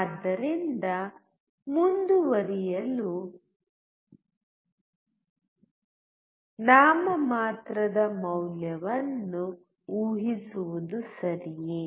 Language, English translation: Kannada, So it is okay to assume a nominal value to move forward